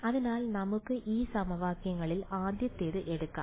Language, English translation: Malayalam, So, let us take of the first of these equations